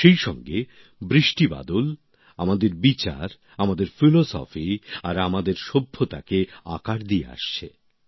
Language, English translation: Bengali, At the same time, rains and the monsoon have always shaped our thoughts, our philosophy and our civilization